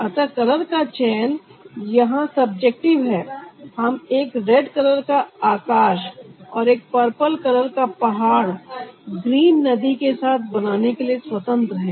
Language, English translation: Hindi, subject is here: we are free to make a red sky and a purple mountain with green river